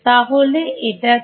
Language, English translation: Bengali, So, that is